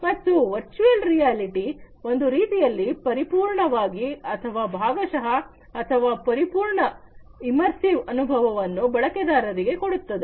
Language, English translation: Kannada, And in virtual reality on the other hand complete or partly partial or complete immersive experience is obtained by the user